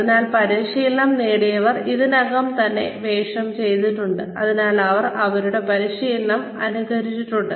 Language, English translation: Malayalam, So, the trainees have already played the role, or they have copied their practice